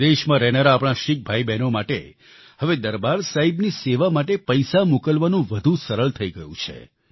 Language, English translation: Gujarati, It has now become easier for our Sikh brothers and sisters abroad to send contributions in the service of Darbaar Sahib